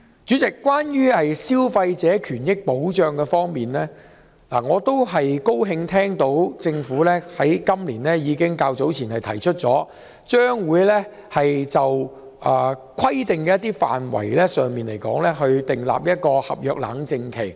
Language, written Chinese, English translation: Cantonese, 主席，關於消費者權益保障，我很高興聽到政府今年較早時提出，將會規定某些範圍的合約須設立冷靜期。, President regarding consumer protection I am very glad to hear the Government propose earlier this year introducing legislation to require traders to provide a cooling - off period in certain service contracts